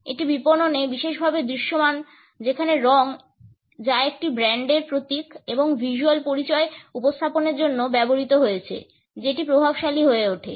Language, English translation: Bengali, It is particularly visible in marketing where the color, which has been used for presenting a brands logo and visual identity, becomes dominant